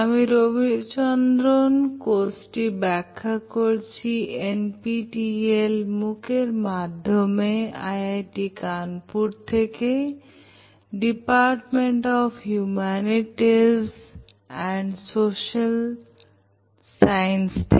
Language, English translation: Bengali, I am Ravichandran giving you this course, on the NPTEL MOOC platform from IIT Kanpur, Department of Humanities and Social Sciences